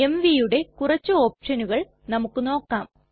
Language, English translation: Malayalam, Now let us see some options that go with mv